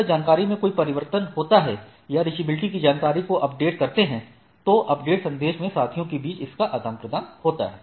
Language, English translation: Hindi, If there is a information change in the information or updating the reachability information it is exchanged between the peers in the update message